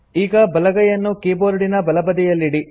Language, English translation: Kannada, Now, place your right hand, on the right side of the keyboard